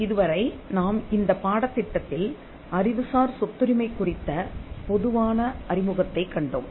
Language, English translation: Tamil, So far, in this course, we have seen a general introduction to Intellectual Property Rights